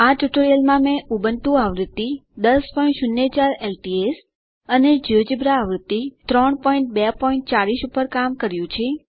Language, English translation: Gujarati, In this tutorial i have worked on Ubuntu version 10.04 LTS and Geogebra version 3.2.40